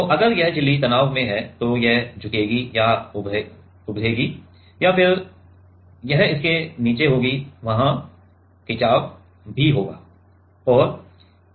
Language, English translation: Hindi, So, if this membrane is under stress then it will bend or bulge and then it will be under it will there will be a strain also right